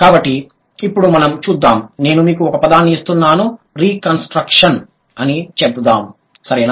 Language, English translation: Telugu, So, let's see, I'm giving you a word, let's say, Reconstruction